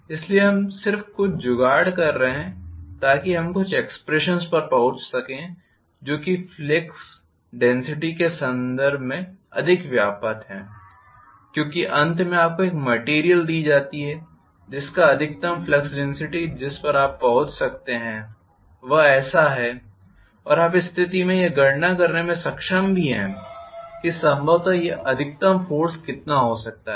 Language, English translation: Hindi, So we are just making some jugglery so that we are able to arrive at some expressions which are more comprehensible in terms of flux density because finally you may be given a material whose flux density the maximum flux density that you can arrive at is so and so in which case you would be able to calculate what is probably the maximum force it can develop